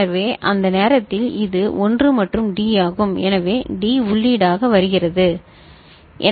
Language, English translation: Tamil, So, at the time this is 1 right and D, so D comes as the input